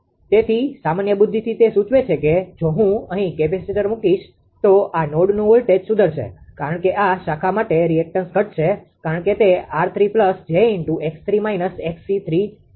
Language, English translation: Gujarati, So, from the common sense it suggests that if I put capacitor here then voltage of this node will improved because for this branch the reactance will decrease because it will be r 3 plus j x 3 minus x c 3